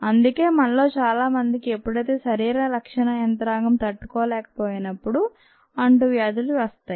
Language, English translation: Telugu, thats why many of us get this: infectious diseases when the bodys defense mechanism is not able to cope